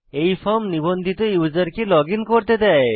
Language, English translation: Bengali, This form allows a registered user to login